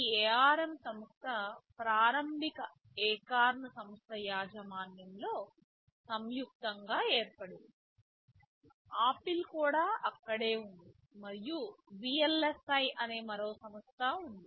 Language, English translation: Telugu, IAnd initially this company ARM was jointly formed and owned by this accountAcorn which was the initiator, Apple was also there and there was another company called VLSI